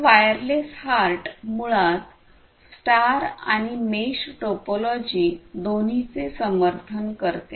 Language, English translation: Marathi, So, wireless HART basically supports both star and mesh topologies